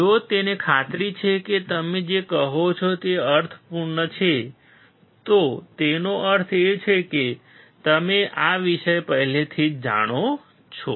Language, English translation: Gujarati, If he is convinced that what you are telling makes sense, then it means you already know the subject